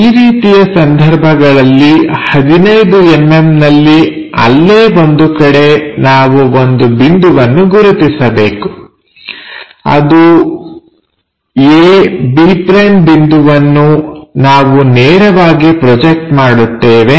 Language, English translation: Kannada, If that is the case at 15 mm we have to mark a point somewhere there a; b’ the point we will straight away project it